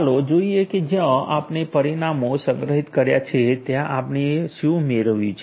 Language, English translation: Gujarati, So, where we have stored the results let us see what we have obtained